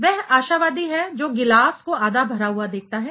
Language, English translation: Hindi, It is a optimist sees the glass half full